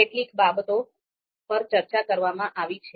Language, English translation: Gujarati, So few things have been discussed here